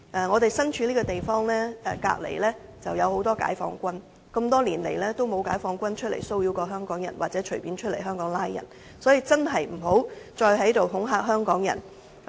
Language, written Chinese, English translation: Cantonese, 我們身處這個地方隔鄰就有很多解放軍，他們多年來也沒有出來騷擾香港人或隨意在香港拘捕市民，所以真的不要再恐嚇香港人。, There are many Peoples Liberation Army soliders right next to where we are but they have never come out to harass or arrest Hong Kong people arbitrarily . So please do not intimidate Hong Kong people anymore